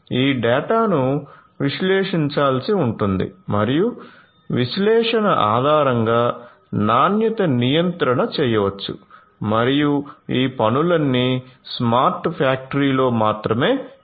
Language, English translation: Telugu, This data will have to be analyzed and based on the analysis, quality control can be done and that is all of these things can be done only in a smart factory